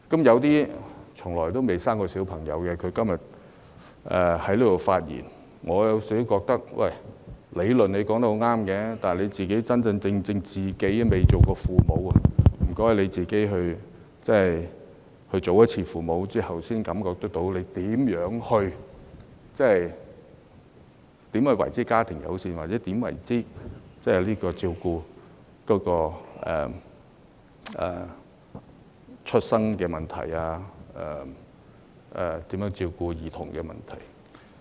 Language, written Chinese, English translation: Cantonese, 有些從來不曾生育的議員，今天在這裏發言，我認為他們的理論說得很對，但他們不曾真正當父母，可否請他們當一次父母之後，才能真正感受到何謂家庭友善、何謂照顧嬰兒出生問題和照顧兒童的問題。, I think their arguments really have a point . But the point I am driving at is that they have never been parents before . Not until they become parents can they truly experience family - friendliness and those problems associated with the time around giving birth to a child and the subsequent care of the child